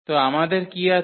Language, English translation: Bengali, So, what we have